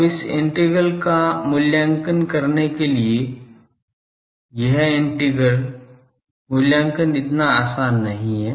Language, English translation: Hindi, Now, to evaluate this integral this integral evaluation is not so easy